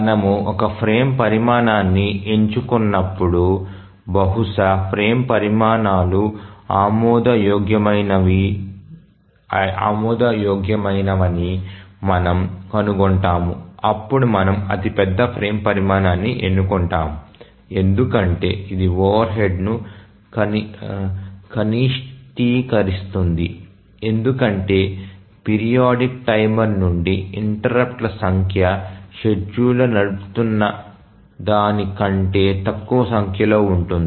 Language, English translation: Telugu, As we try to select a frame size, we might find that multiple frame sizes are acceptable then we choose the largest frame size because that minimizes the overhead because the number of interrupts from the periodic timer become less, less number of time the scheduler runs